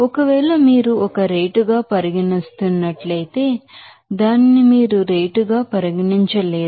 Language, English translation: Telugu, So, if you are considering as a rate P you cannot regard it as rate